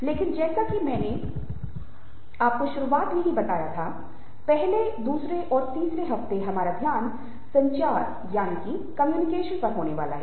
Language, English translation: Hindi, but, as i told you right at the beginning, the first week, our focus is going to be on communication